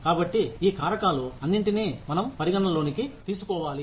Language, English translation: Telugu, So, we need to keep, all these factors, into account